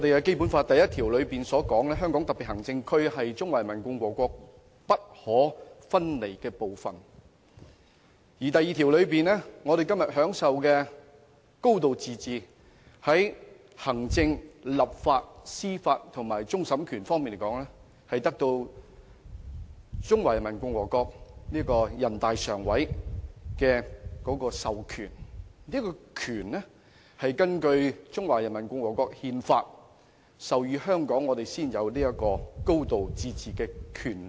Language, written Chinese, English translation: Cantonese, 《基本法》第一條訂明：香港特別行政區是中華人民共和國不可分離的部分；《基本法》第二條又規定，我們今天享有"高度自治"，在行政、立法、司法和終審方面的權力，都是由全國人民代表大會常務委員會所授予，而這些權力是根據《中華人民共和國憲法》授予香港，我們才有"高度自治"的權力。, Article 1 of the Basic Law stipulates that [t]he Hong Kong Special Administrative Region is an inalienable part of the Peoples Republic of China; while Article 2 of the Basic Law also provides that the executive legislative judiciary and final adjudication power enjoyed by us now under a high degree of autonomy is authorized by the Standing Committee of the National Peoples Congress NPC . Under the Constitution of the Peoples Republic of China Hong Kong is authorized to exercise a high degree of autonomy